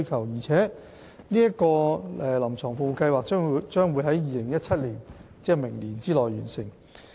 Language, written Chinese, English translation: Cantonese, 預計新界西聯網的"臨床服務計劃"將於2017年——即明年內完成。, The CSP for the NTW Cluster is expected to be completed within 2017 that is next year